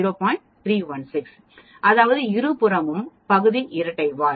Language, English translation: Tamil, 316 that is both the sides area are double tailed